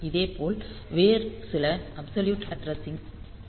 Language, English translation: Tamil, Similarly, we can have some other absolute addressing